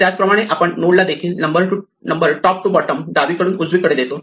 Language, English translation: Marathi, In the same way, we number the nodes also top to bottom, left to right